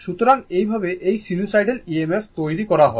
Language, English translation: Bengali, So, this way this is the sinusoidal EMF generated